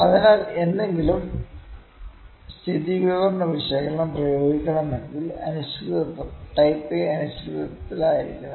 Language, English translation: Malayalam, So, if the any statistical analysis has to be applied, the uncertainty has to be type A uncertainty